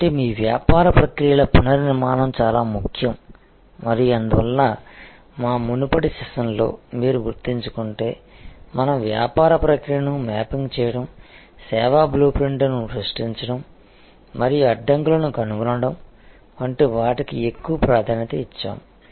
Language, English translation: Telugu, So, reengineering of your business processes is very important and that is why if you remember in our earlier sessions we led so much emphasis on mapping the business process, creating the service blue print and finding the bottlenecks